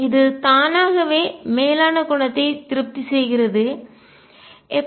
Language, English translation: Tamil, This automatically satisfies the upper property, how so